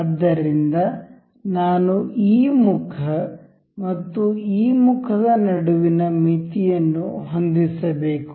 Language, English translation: Kannada, So, I must I have set the limit between this face and this face